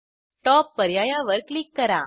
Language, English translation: Marathi, Click on the Top option